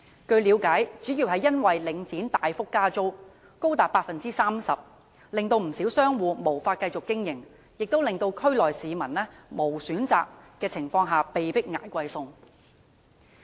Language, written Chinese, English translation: Cantonese, 據了解，主要因為領展大幅加租，最高達 30%， 令不少商戶無法繼續經營，亦令區內市民在無選擇的情況下被迫"捱貴餸"。, It is learnt that quite a number of traders were unable to continue their business mainly because of the significant rent increases up to 30 % levied by Link REIT and people in the districts had no choice but to fork out more for their food